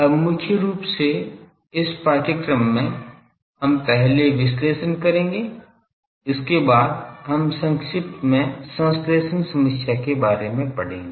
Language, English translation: Hindi, Now mainly in this course we will be first do the analysis there after we will touch briefly the synthesis problem